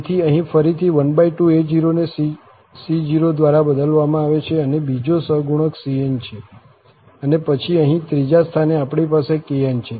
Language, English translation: Gujarati, So, here again, the c0 is half a naught, which is replaced here by this c0, the second this is cn, and then the third place here, we have this kn